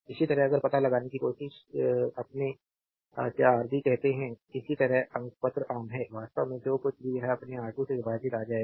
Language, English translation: Hindi, Similarly, if you try to find out your what you call Rb, similarly numerator is common the actually whatever it will come divided by your R 2